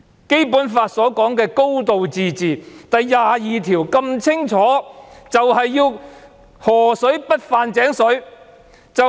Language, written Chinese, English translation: Cantonese, 《基本法》第二十二條所訂明的"高度自治"便是要河水不犯井水。, Article 22 of the Basic Law provides for a high degree of autonomy which means river water will not intrude into well water